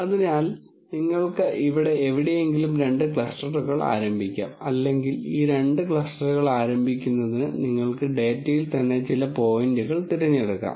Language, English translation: Malayalam, So, you could start off two clusters somewhere here and here or you could actually pick some points in the data itself to start these two clusters